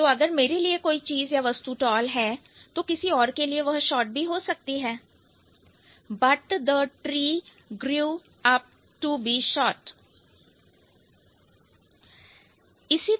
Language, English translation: Hindi, So, something which is tall for me might be short for somebody else, but the tree grew up to be too short, right